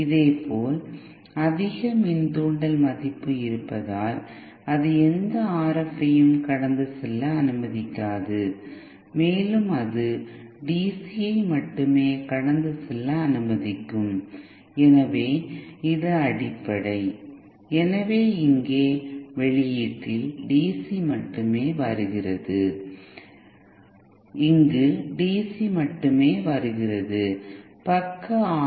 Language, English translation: Tamil, Similarly, because of the high inductance value it will not allow any RF to pass through it and it will allow only DC to pass through it, so that is the basic so at the output here only DC is coming and here only DC is coming from the side and RF is coming from this side and 2 are mixed